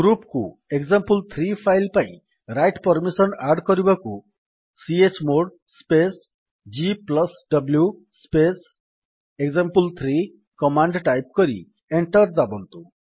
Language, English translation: Odia, To add the write permissions to the group for file example3 type the command: $ chmod space g+w space example3 press Enter